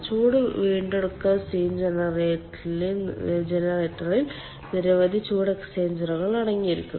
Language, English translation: Malayalam, heat recovery steam generator contains number of heat exchangers